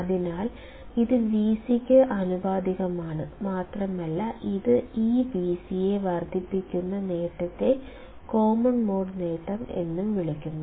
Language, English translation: Malayalam, So, it is also proportional to Vc and the gain with which it amplifies this V c is called common mode gain